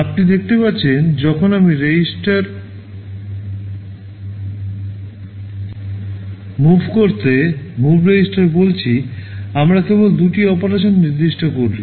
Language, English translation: Bengali, You see when I am saying move register to register, I need to specify only two operands